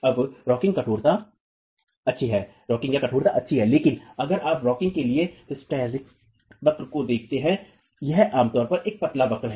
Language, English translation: Hindi, Now, rocking is good but if you look at the hysteric curve for rocking, it's typically a thin curve